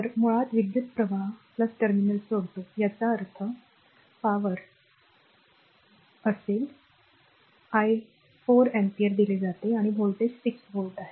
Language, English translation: Marathi, So, basically the current actually leaving the your plus terminal; that means, your power, power will be your I is given 4 ampere and voltage is 6 volt